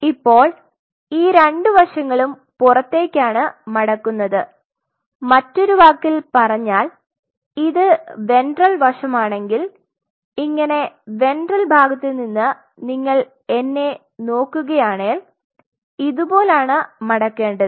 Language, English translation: Malayalam, Now, these two sides fold outward in other word these two sides if this is the ventral horn if this is you are looking at me at ventral side and if I keep it like this it will be folding will be like this